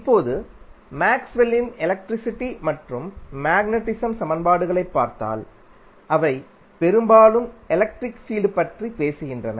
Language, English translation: Tamil, Now, the if you see the electricity and magnetism equations of Maxwell they are mostly talking about the electric field